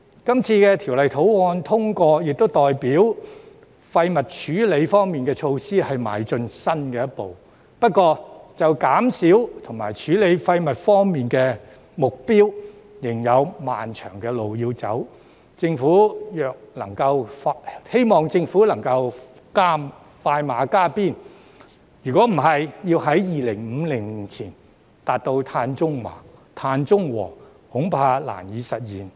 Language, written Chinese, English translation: Cantonese, 今次《條例草案》獲通過，亦代表廢物處理方面的措施邁出新的一步，不過就減少和處理廢物方面的目標，仍有漫長的路要走，希望政府能夠快馬加鞭，否則要在2050年前達至碳中和，恐怕難以實現。, The passage of the Bill represents a new step forward in waste treatment but there is still a long way to go from the waste reduction and treatment targets . I hope that the Government can speed up the process otherwise it will be difficult to achieve carbon neutrality before 2050